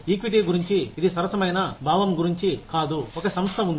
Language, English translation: Telugu, Equity is about, it is not about the sense of fairness, an organization has